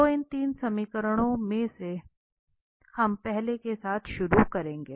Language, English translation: Hindi, So, having these 3 equations we will start with the first one